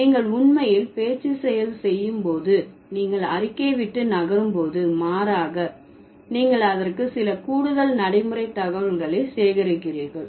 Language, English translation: Tamil, So, when you request, when you are moving away from the statement, rather you are adding some extra pragmatic information to it